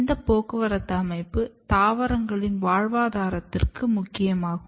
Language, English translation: Tamil, And transport system is absolutely essential for survival of a plant